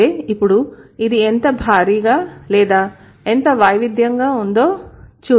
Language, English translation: Telugu, So, now let's see how huge or how diverse it is